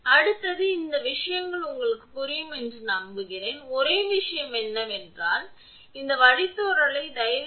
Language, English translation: Tamil, So, next is this is I hope this things is understandable to you, only thing is that this derivative one you please do it and find out that R is equal to 2